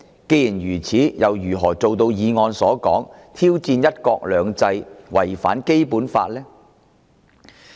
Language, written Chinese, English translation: Cantonese, 既然如此，他又如何做到議案所述的挑戰"一國兩制"及違反《基本法》呢？, In that case how could he possibly challenge one country two systems and violate the Basic Law as stated in the motion?